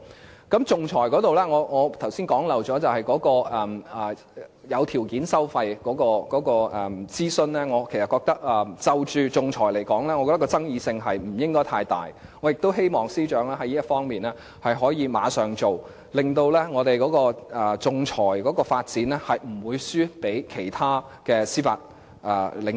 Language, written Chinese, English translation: Cantonese, 還有，在仲裁方面，我剛才遺漏說，在有條件收費諮詢上，就仲裁來說，其爭議性應該不大，我也希望司長能馬上在這方面下工夫，令我們仲裁的發展不會輸給其他的司法領域。, By the way about arbitration I forgot to say just a moment ago that as far it is concerned the consultation on conditional fee arrangement is not expected to be controversial and I hope the Secretary can immediately work on this matter so that the development of our arbitration profession will not be outperformed by other jurisdictions